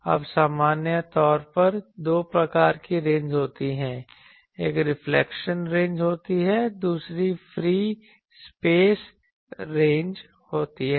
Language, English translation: Hindi, Now, in general there are two types of ranges one is reflection ranges, another is the free space ranges